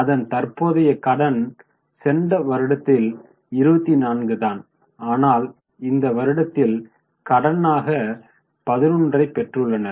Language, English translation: Tamil, That last year they have got credit of 24 this year they have got credit of 11, no major change